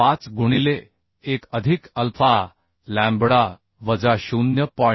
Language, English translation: Marathi, 5 into 1 plus alpha lambda minus 0